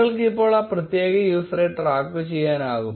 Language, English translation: Malayalam, And you will able to track that particular user